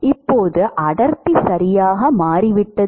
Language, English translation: Tamil, Now, the density has changed right